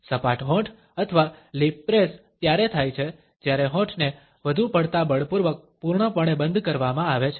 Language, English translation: Gujarati, Flattened lips or lip press occur when there is an excessive almost force full closing of the lips